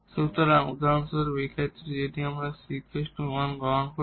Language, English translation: Bengali, So, for instance in this case if we take this c is equal to 1